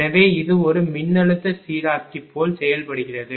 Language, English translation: Tamil, So, it acts like a voltage regulator